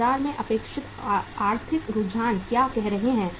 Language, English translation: Hindi, What are the expected say economic trends in the market